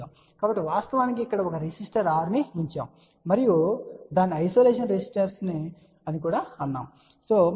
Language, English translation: Telugu, So, we are actually put over here a resister R and that is also known as isolation resistance ok